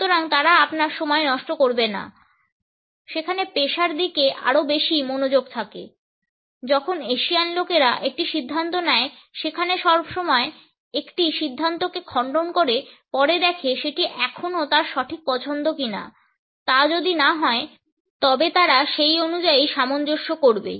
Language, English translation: Bengali, So, they will not be wasting your time there are more focus on the career when the Asian people make a decision there always refute as a decision later on see if it is still the right choice if this is not a case, they will adjust accordingly